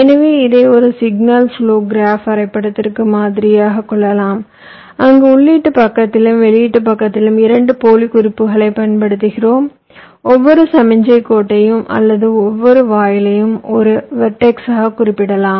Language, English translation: Tamil, so we can model this as a signal flow graph where we use two dummy notes in the input side and the output side, and every, you can say every signal line or every gate can be represented by a verdicts